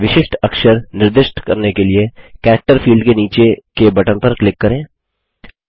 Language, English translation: Hindi, To assign a special character, click on the button below the character field